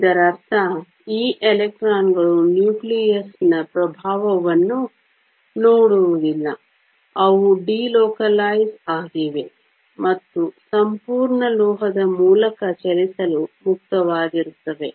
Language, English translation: Kannada, This means that these electrons do not see the influence of the nucleus, they are delocalized and they are free to move through the entire metal